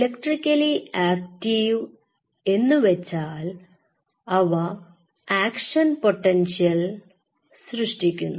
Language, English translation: Malayalam, So, electrically active cells means it fires action potentials